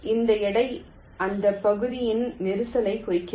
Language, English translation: Tamil, this weight indicates the congestion of that area